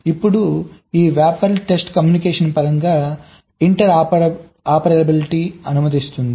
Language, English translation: Telugu, now, this rappers allow inter operability in terms of test communication